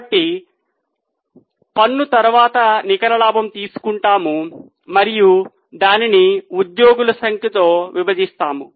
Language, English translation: Telugu, So we will take the data of net sales and let us divide it by number of shares